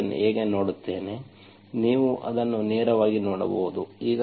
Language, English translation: Kannada, How do I see this, you can directly see that